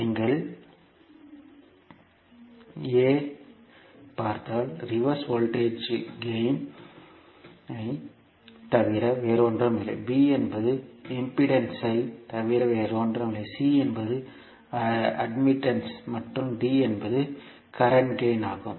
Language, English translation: Tamil, If you see A, A is nothing but a reverse voltage gain, B is nothing but the impedance, C is the admittance and D is current gain